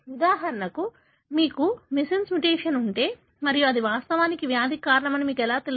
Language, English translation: Telugu, For example, if you have a missense mutation and how do you know that indeed it iscausing the disease